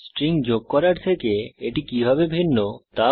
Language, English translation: Bengali, Find out how is it different from adding strings